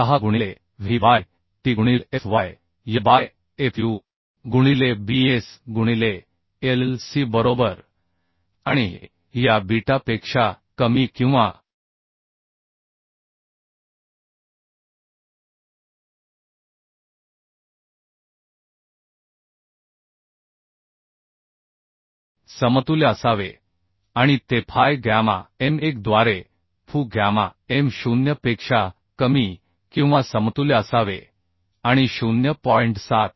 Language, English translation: Marathi, 076 into w by t into fy by fu into bs by Lc right and this should be less than or equal to this beta should be less than or equal to fu gamma m0 by fy gamma m1 and should be greater than or equal to 0